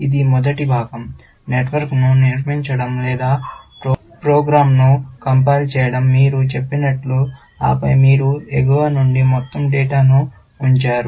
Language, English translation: Telugu, That is the first part, building the network or compiling the program, as you might say, and then, you put in all the data from the top